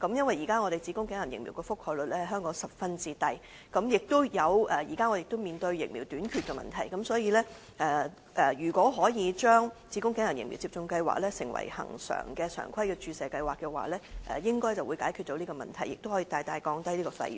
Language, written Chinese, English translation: Cantonese, 現時香港子宮頸癌疫苗的覆蓋率十分低，而且目前我們也面對疫苗短缺的問題，所以如果可以將子宮頸癌疫苗接種計劃成為恆常的注射計劃，應該可以解決這問題，並大大降低有關費用。, Currently the coverage of cervical cancer vaccination in Hong Kong is low and the supply of the vaccine is insufficient . Yet these problems can be solved and the fees substantially reduced if we can make cervical cancer vaccination a regular vaccination programme